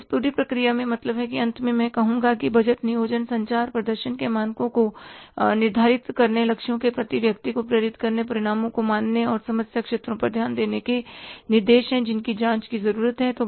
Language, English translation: Hindi, So, in this entire process means finally I would say that budgets are aids in planning, communicating, setting standards of performance, motivating personnel's towards goals, measuring results and directing attention to the problem areas that need investigation